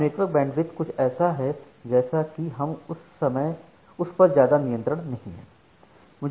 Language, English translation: Hindi, Now network bandwidth is something like we do not have much control over that